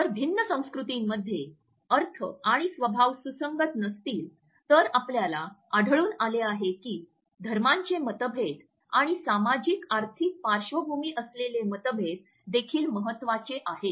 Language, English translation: Marathi, If the interpretations and nature are not consistent amongst different cultures, we find that the differences of religions and differences with socio economic background are also important